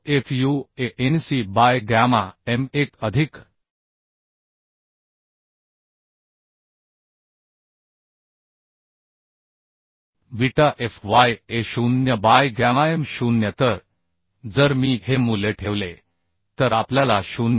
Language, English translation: Marathi, 9 fu Anc by gamma m1 plus beta fy Ago by gamma m0 So if I put this value we can get 0